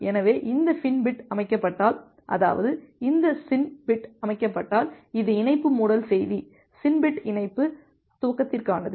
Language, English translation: Tamil, So, if this FIN bit is set; that means, it is a connection closure message if this SYN bit is set, SYN bit is for connection initialization